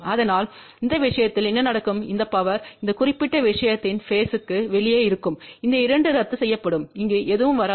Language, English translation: Tamil, So, what will happen in that case this power will be outer phase of this particular thing, these 2 will cancel and nothing will come over here ok